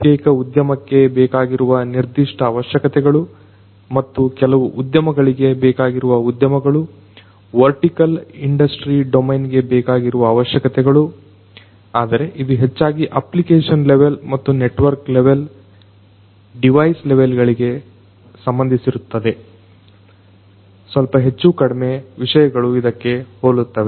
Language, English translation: Kannada, The specific requirements that a particular industry has and certain industry specific industry, vertical industry domain specific requirements, but that is basically mostly dealt with in the application level and at the network at the device level more or less the concepts remain similar